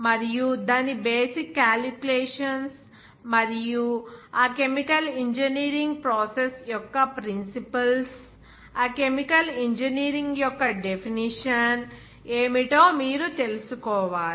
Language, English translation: Telugu, And its basic calculations and also principles of that chemical engineering process